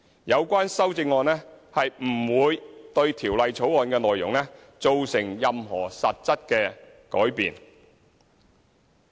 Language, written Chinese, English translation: Cantonese, 有關修正案不會對《條例草案》的內容造成任何實質改變。, The amendments will not cause any substantive change to the content of the Bill